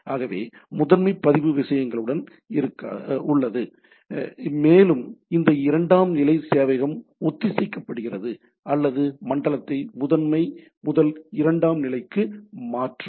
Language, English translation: Tamil, So but nevertheless the master record is with the things and this secondary server get synced or transfer of zone from the primary to secondary